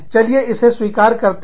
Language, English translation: Hindi, You know, let us admit it